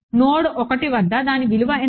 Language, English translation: Telugu, What is its value at node 1